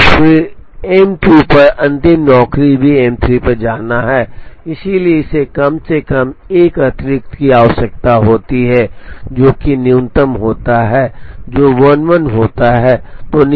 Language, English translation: Hindi, And then the last job on M 2 also has to go to M 3, so it requires at least an addition which is the minimum of these which happens to be 11